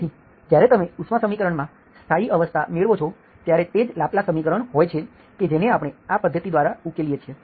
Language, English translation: Gujarati, So when you achieve the steady state in the heat equation, that is exactly the Laplace equation that we have solved by this method